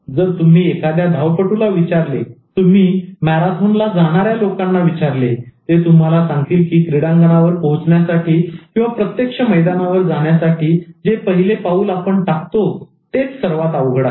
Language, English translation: Marathi, If you ask an athlete, if you ask people who are going for marathon, they will tell you that it's the first step that reaching the stadium or going to the field for taking a small walk, that is the most difficult